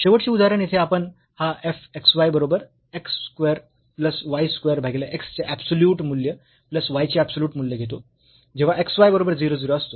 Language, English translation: Marathi, The last example here we take this fx y is equal to x square plus y square divided by absolute value of x plus absolute value of y when x y not equal to 0 0